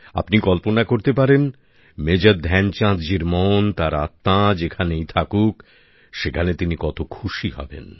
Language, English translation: Bengali, You can imagine…wherever Major Dhyanchand ji might be…his heart, his soul must be overflowing with joy